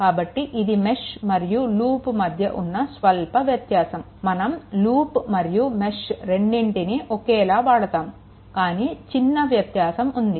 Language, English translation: Telugu, So, this is slight difference between loop and mesh, but loosely sometimes, we talk either loop or mesh, right, but this is the difference between the loop and mesh ok